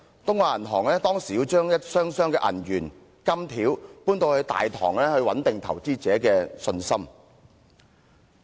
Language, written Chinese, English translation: Cantonese, 東亞銀行當時要將一箱箱銀元和金條搬到大堂，以穩定投資者的信心。, The Bank of East Asia at that time had to carry chests of silver coins and gold ingots to the bank lobbies to assure investor confidence